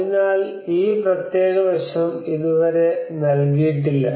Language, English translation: Malayalam, So this particular aspect has not been laid so far